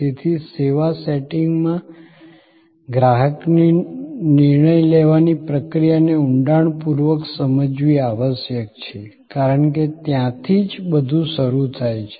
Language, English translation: Gujarati, So, the process of decision making of a consumer in the service setting must be understood in depth, because that is where everything starts